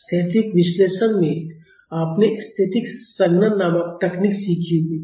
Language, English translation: Hindi, In static analysis you might have learnt a technique called static condensation